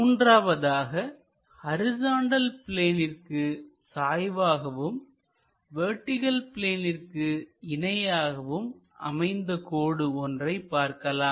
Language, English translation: Tamil, And the fourth one; a line inclined to horizontal plane, but it is parallel to vertical plane